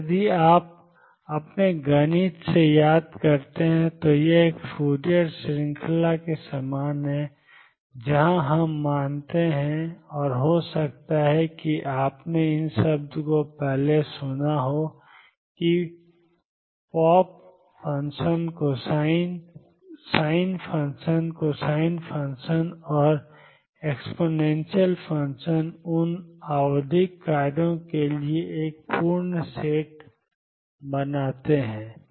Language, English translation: Hindi, And if you recall from your mathematics this is similar to a Fourier series, where we assume and may be you heard this term earlier that the sin function cosine function and exponential function they form a complete set for those periodic functions